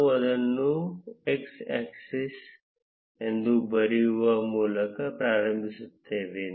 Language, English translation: Kannada, We would start by writing it as x axis